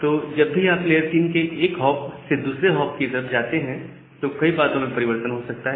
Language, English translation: Hindi, So, whenever you are going from one layer three hop to another layer three hop then the things may get changed